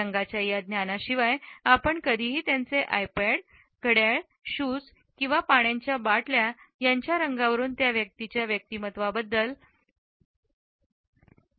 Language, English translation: Marathi, Without this knowledge you would never consider the colors of their iPods, wristbands, shoes or water bottles and what they can tell you about each person’s personality